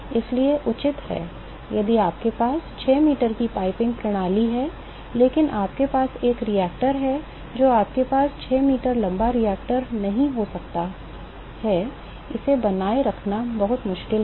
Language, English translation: Hindi, So, if you have a piping system 6 meters is reasonable, but we have a reactor, you cannot have 6 meter tall reactor, it is very difficult to maintain it